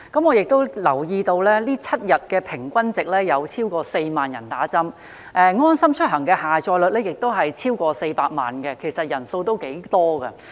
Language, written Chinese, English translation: Cantonese, 我亦留意到，最新的疫苗接種7日平均值已超過4萬，而"安心出行"的下載率亦已超過400萬，人數頗多。, I have also noticed that the latest seven - day average of doses administered has exceeded 40 000 and the LeaveHomeSafe mobile app has also recorded downloads of over 4 million which are big numbers